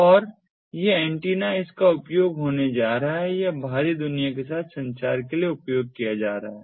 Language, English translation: Hindi, so this antenna is going to use, it is going to be used for communication with the outside world